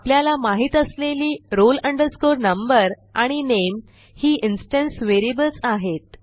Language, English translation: Marathi, Then the only roll number and name we know are the instance variables